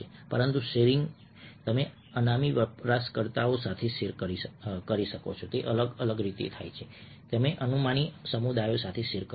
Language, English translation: Gujarati, you share with anonymous users, you share with an anonymous communities